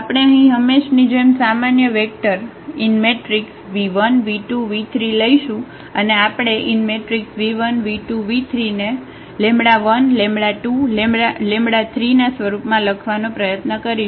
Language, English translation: Gujarati, We will take a general vector here v 1 v 2 v 3 as usual and we will try to write down this v 1 v 2 v 3 in terms of the lambda 1 lambda 2 and lambda 3